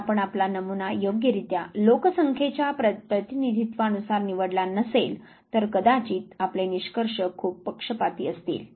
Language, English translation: Marathi, So, if you have not drawn your sample which is a representative of the population then you are findings might be very biased